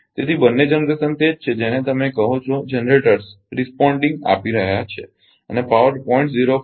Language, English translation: Gujarati, So, both the generation is your what you call generated S generate responding and generating power 0